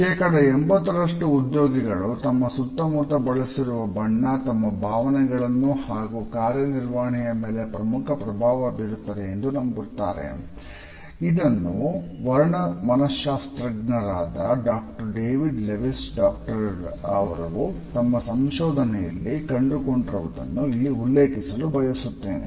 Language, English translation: Kannada, Also I would refer to a very interesting finding of Doctor David Lewis, a color psychologist who has found in his research that about 80 percent employees believe that the color of their surroundings has a significant impact on their emotions and performance